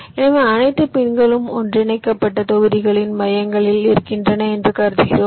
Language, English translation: Tamil, so we assume that all the pins are merged and residing at the centers of the blocks